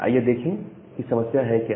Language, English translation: Hindi, So, let us see what is the problem there